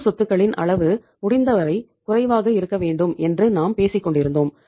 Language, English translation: Tamil, We have been talking that the level of current assets should be as low as possible